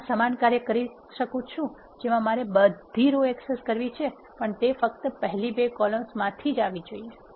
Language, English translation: Gujarati, You can also do the same I want to access all the rows, but it has to be coming from first two columns only